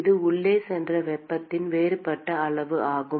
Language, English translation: Tamil, This is the differential amount of heat that went in